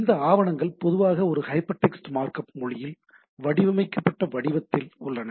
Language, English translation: Tamil, So, this documents are typically in a formatted in a in a hypertext markup language right